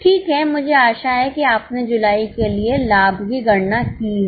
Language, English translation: Hindi, I hope you have calculated the profit for July